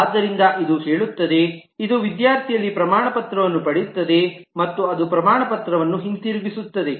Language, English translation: Kannada, So this says: this will get certificate is a method in student and it will return certificate